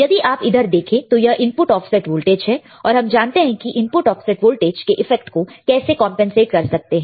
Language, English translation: Hindi, Now, if you see here input offset voltage that we know right, how we can how we can compensate the effect of input offset voltage